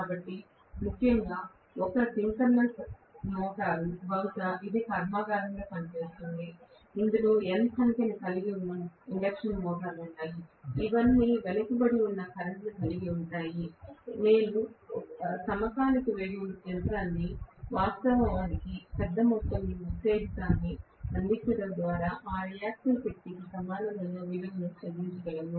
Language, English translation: Telugu, So, especially a synchronous motor, which is probably employed in a factory, which has N number of induction motors, which are all drawing lagging current, I would be able to make one synchronous machine compensate for all that reactive power by actually providing a large amount of excitation to it